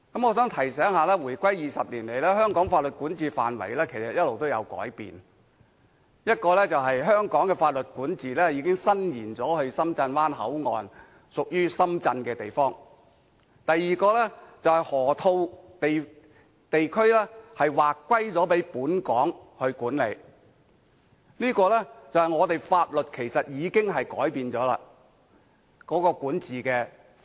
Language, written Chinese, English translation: Cantonese, 我想提醒一下，回歸20年來，香港法律管轄範圍其實一直有改變：第一，香港的法律管轄已伸延至深圳灣口岸，屬於深圳的地方；第二，河套地區劃歸給本港管理，顯示香港法律的管轄範圍其實已經改變了。, I would like to remind them that throughout the two decades since our return to the Motherland the territory under Hong Kongs jurisdiction has been evolving constantly; first Hong Kongs jurisdiction has already extended to the Shenzhen Bay Port an area belonging to Shenzhen; second Hong Kong has been assigned the right to manage the Lok Ma Chau Loop . These examples have shown us the change in the territory under Hong Kongs jurisdiction